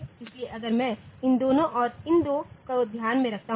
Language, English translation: Hindi, So, if I take these two and these two into consideration